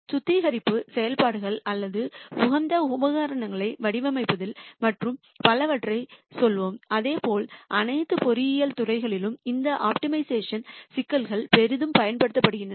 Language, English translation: Tamil, Let us say refinery operations or designing optimal equipment and so on, and similarly in all engineering disciplines these optimization problems are used quite heavily